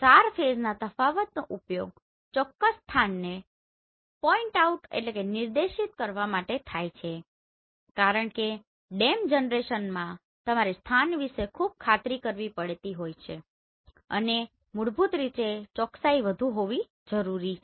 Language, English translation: Gujarati, SAR phase difference is used to point out the exact location because in DEM generation you need to be very sure about the location and basically the accuracy has to be more